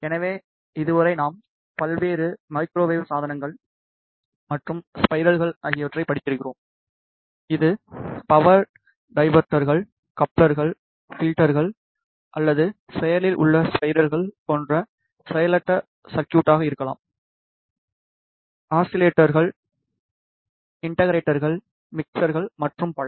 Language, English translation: Tamil, So, far in the course we have studied various Microwave Devices and Circuits, be it passive circuits like power dividers, couplers, filters, or active circuits like; oscillators, amplifiers, mixers and so on